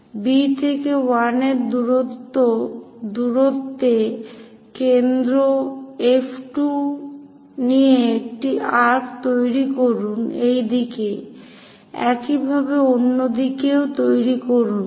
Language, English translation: Bengali, So, with B to 1 distance, but centre is F 2 make an arc in this direction; similarly, make it on that side